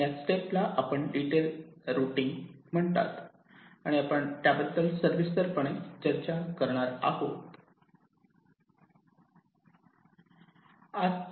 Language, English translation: Marathi, this step is called detailed routing and we shall be starting our discussion on this today